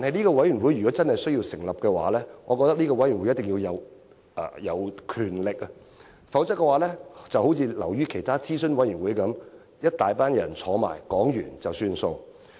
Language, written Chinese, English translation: Cantonese, 然而，若真要成立這個委員會，我認為它必須擁有權力。否則，就會流於其他諮詢委員會般，一大群人討論過後便了事。, However if we are really going to establish the commission I believe it must be granted the right power lest it will become another consultative committee where a large group people gather to give empty talks